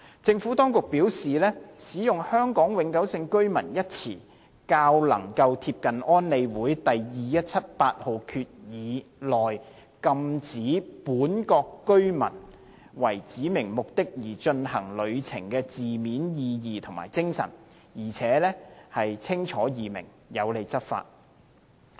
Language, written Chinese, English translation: Cantonese, 政府當局表示，使用"香港永久性居民"一詞，較能夠貼近安理會第2178號決議內，禁止"本國國民"為指明目的而進行旅程的字面意義及精神，而且清楚易明，有利執法。, The Administration said that the use of the term Hong Kong permanent resident is in line with the letter and spirit of UNSCR 2178 on the prohibition of their nationals from travelling for specified purpose . It is also easy to understand and can facilitate enforcement